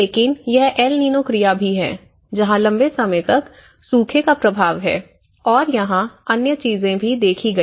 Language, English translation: Hindi, But it is also the El Nino phenomenon where a longer term impact has also like drought and other things have also been seen here